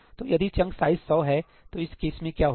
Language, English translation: Hindi, So, if I am using chunk sizes of 100, what happens in that case